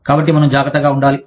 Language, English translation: Telugu, So, we need to be careful